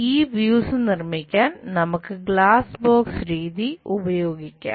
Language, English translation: Malayalam, This is the way we construct top view using glass box method